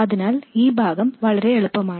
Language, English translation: Malayalam, So this part is very easy